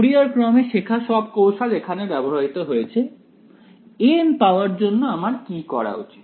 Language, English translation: Bengali, All of the tricks we learnt in Fourier series can be used over here to find out a n what should I do